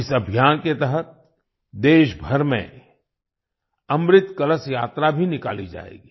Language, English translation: Hindi, Under this campaign, 'Amrit Kalash Yatra' will also be organised across the country